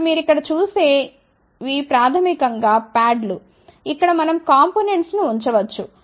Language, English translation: Telugu, So, now what you see over here these are the basically parts, where we can put the component